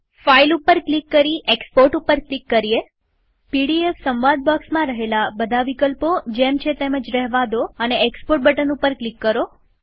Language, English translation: Gujarati, In the PDF options dialog box, leave all the options as they are and click on the Export button